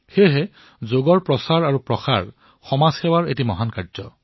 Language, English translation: Assamese, Therefore promotion of Yoga is a great example of social service